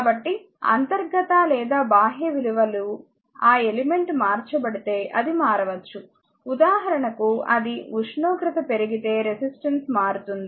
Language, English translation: Telugu, So, that it can be change if you internal or external things are that element altered; for example, if it a temperature increases so, resistance change right =